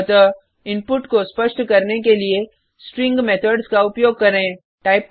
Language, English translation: Hindi, So let us use the String methods to clean the input